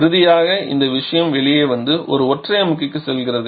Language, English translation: Tamil, And finally this thing comes out and goes to the single compressor